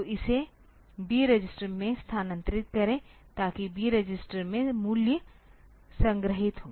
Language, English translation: Hindi, So, move it to B register, so that in B register the value is stored ok